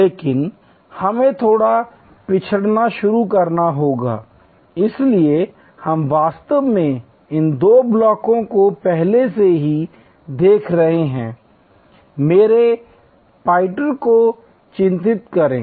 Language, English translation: Hindi, But, we have to start a little backward, so we have been actually looking at these two blocks earlier, mark my pointer